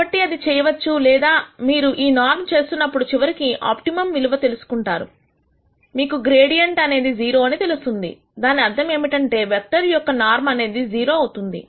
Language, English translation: Telugu, Or when you do the norm of this you know ultimately at the optimum value you know the gradient has to be 0, that means, the norm of this vector has to be 0